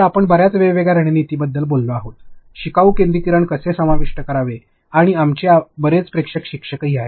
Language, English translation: Marathi, So, you have talked about the lot of different strategies, how to incorporate learner centricity and lot of our viewers are also teachers